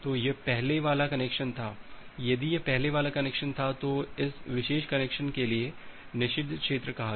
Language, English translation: Hindi, So, this was the earlier connection if this was the earlier connection then this was say the forbidden region for this particular connection